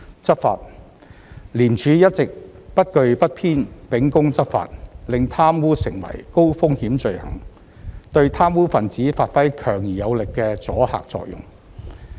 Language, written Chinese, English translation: Cantonese, 執法廉署一直不懼不偏秉公執法，令貪污成為高風險罪行，對貪污分子發揮強而有力的阻嚇作用。, Law enforcement ICAC has always been discharging its enforcement duties without fear or favour making corruption a high - risk crime with strong deterrent effect on the corrupt